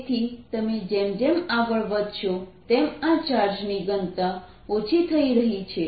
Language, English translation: Gujarati, so as you go farther and farther out, this charge density is decreasing